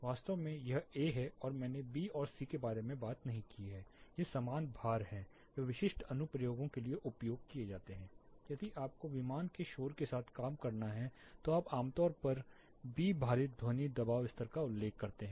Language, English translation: Hindi, In fact, this A and I did not talked about B and C weighting these are similar weightages used for specific applications say if you have to work with aircraft noise typically you refer to B weighted sound pressure level